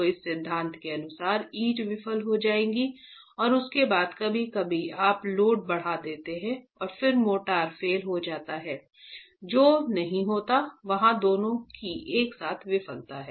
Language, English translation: Hindi, So according to this theory, brick will fail and then after some time you increase the load and then the motor will fail, which does not happen